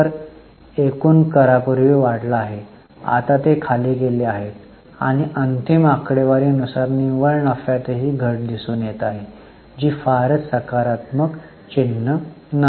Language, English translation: Marathi, Tax total taxes earlier went up, now they have gone down and the final figure reported net profit is also showing a reduction which is not a very positive sign